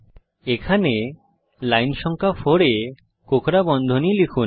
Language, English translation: Bengali, Suppose here, at line number 4 we miss the curly brackets